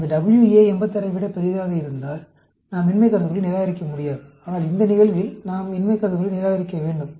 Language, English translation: Tamil, If that WA has been larger than 86, then, we can, cannot reject the null hypothesis; but, in this case, we need to reject the null hypothesis